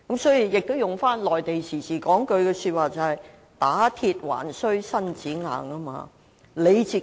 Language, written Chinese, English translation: Cantonese, 套用一句內地常說的話，"打鐵還需自身硬"。, As the Mainland saying goes To forge iron one must be strong